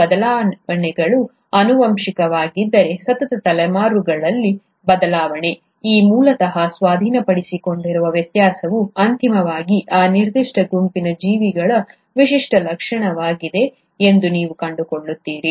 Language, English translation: Kannada, If these changes are heritable, you will find that over successive generations, the variation, this originally acquired variation which eventually become a characteristic of that particular group of organisms